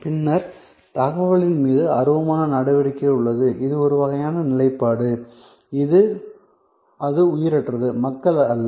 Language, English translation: Tamil, And then, we have intangible action on information, which is by itself a kind of a position, it is inanimate not people